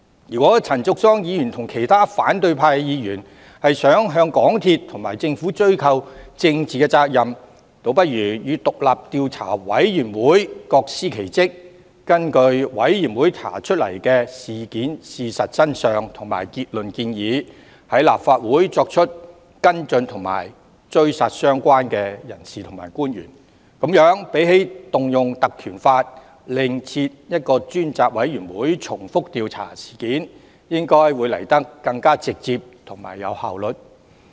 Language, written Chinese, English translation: Cantonese, 如果陳淑莊議員和其他反對派議員希望向港鐵和政府追究政治責任，倒不如與委員會各司其職，根據委員會查出的事實真相及結論建議，在立法會上再作出跟進和"追殺"相關的人士和官員，與引用《條例》另設專責委員會重複調查相比，這樣應來得更直接、更有效率。, If Ms Tanya CHAN and other Members of the opposition camp wish to ascertain the political responsibility of MTRCL and the Government they may as well play their own roles separately from the Commission . They can take follow - up action in the Legislative Council against the relevant persons and officials based on the facts uncovered and conclusions reached by the Commission . Compared with invocation of PP Ordinance to form a separate select committee to make duplicated efforts in an inquiry this should be more direct and efficient